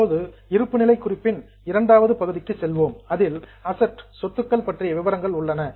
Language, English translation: Tamil, Now let us go to the second part of balance sheet that is known as assets